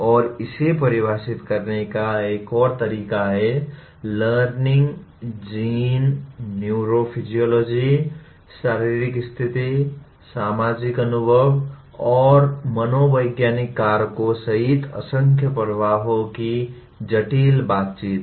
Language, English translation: Hindi, And another way of putting is, learning is a complex interaction of myriad influences including genes, neurophysiology, physical state, social experience and psychological factors